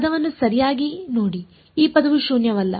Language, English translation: Kannada, Look at this term right this term is non zero where